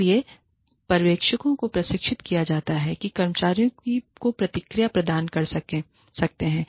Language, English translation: Hindi, So, the supervisors can be trained, to coach and provide feedback, to the employees